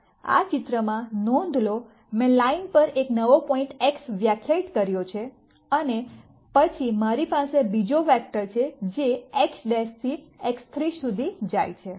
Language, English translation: Gujarati, Notice in this picture I have defined a new point X prime on the line and then I have another vector which goes from X prime to X 3